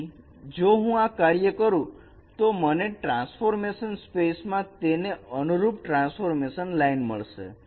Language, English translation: Gujarati, Then you will get the corresponding transformed line in the transformation, transformed space